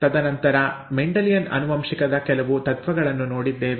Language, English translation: Kannada, And then some principles of Mendelian genetics